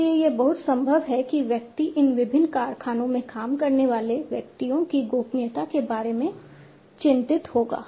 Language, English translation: Hindi, So, it is quite possible that one would be concerned about the privacy of the individuals working in these different factories